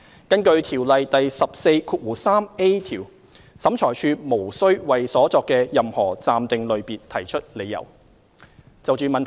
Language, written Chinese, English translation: Cantonese, 根據《條例》第 143a 條，審裁處無須為所作的任何暫定類別提出理由。, According to section 143a of COIAO OAT shall not be required to give any reasons for any interim classification